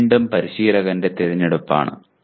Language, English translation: Malayalam, This is again a choice of the instructor